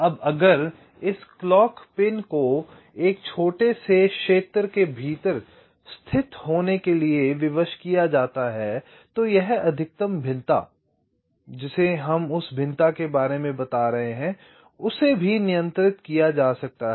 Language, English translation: Hindi, now, if this clock pins are constrained to be located within a small region, then this maximum variation that we are talking about, that variation can also be controlled